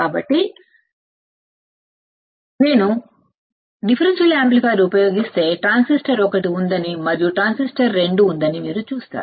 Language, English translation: Telugu, So, if I use the differential amplifier you will see that there is a transistor one and there is a transistor 2